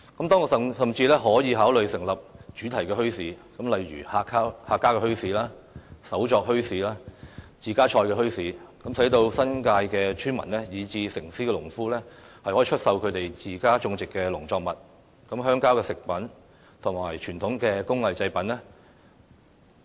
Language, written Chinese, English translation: Cantonese, 當局甚至可考慮成立主題墟市，如客家墟市、手作墟市、自家菜墟市，讓新界村民，以至城市的農夫能出售自家種植的農作物、鄉郊食品和傳統工藝製品。, The authorities can even consider setting up thematic bazaars such as Hakka bazaars or those selling hand - made products and home - grown vegetables so that villagers in the New Territories and even farmers in urban districts can put up for sale their home - grown agricultural produces village food and traditional handicrafts